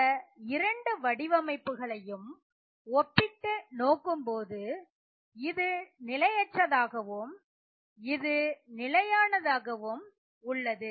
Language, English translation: Tamil, So if I were to compare both of these structures, this is destabilizing and this is stabilizing